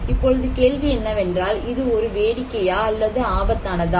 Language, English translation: Tamil, Now the question, is it a fun or danger